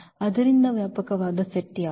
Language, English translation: Kannada, So, what is the spanning set